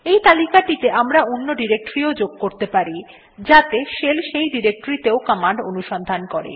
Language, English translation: Bengali, We can also add our own directory to this list so that our directory is also searched by the shell